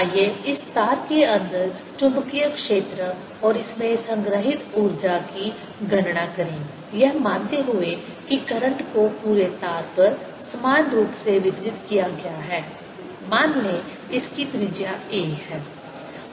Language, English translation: Hindi, let us calculate the magnetic field inside this wire and the energy stored in that, assuming that the current is distributed over the entire wire evenly